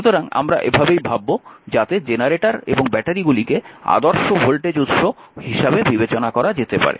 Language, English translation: Bengali, So, physical sources such as generators and batteries may be regarded as appropriations to ideal voltage sources